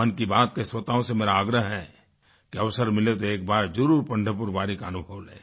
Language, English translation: Hindi, I request the listeners of "Mann Ki Baat" to visit Pandharpur Wari at least once, whenever they get a chance